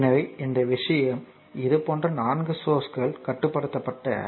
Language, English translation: Tamil, So, this thing so, there are 4 such sources you have shown